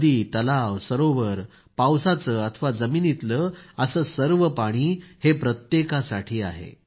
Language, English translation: Marathi, River, lake, pond or ground water all of these are for everyone